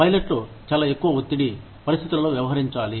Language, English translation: Telugu, Pilots have to deal with, very high stress situations